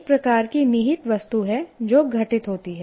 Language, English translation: Hindi, That is the kind of implicit thing that happens